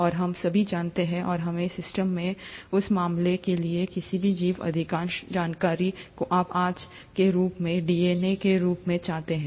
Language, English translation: Hindi, And we all know, and that in our system, any organism for that matter, most of the information is encoded into what you call as the DNA, as of today